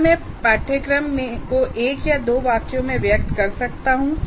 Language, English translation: Hindi, Can I express the course in terms of one or two sentences